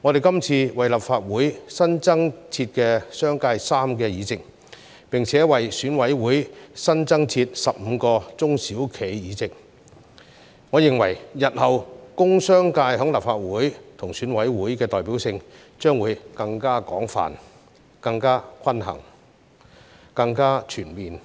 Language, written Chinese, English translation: Cantonese, 這次為立法會新增設商界議席，並且為選委會新增設15個中小企議席，我認為日後工商界在立法會和選委會的代表性將會更廣泛、更均衡、更全面。, With the addition of a seat for commercial third subsector in the Legislative Council and 15 seats for small and medium enterprises in EC I think the representativeness of the business and industrial sector in the Legislative Council and in EC will be more extensive more balanced and more comprehensive